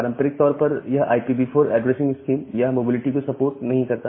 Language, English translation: Hindi, And traditionally this IPv4 addressing scheme it does not support mobility